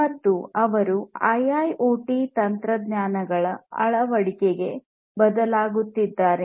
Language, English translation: Kannada, And they are transforming towards the adoption of IIoT technologies